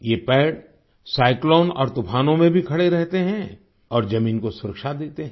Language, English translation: Hindi, These trees stand firm even in cyclones and storms and give protection to the soil